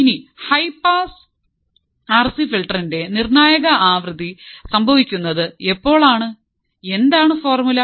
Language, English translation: Malayalam, Now the critical frequency of a high pass RC filter occurs when; what is the formula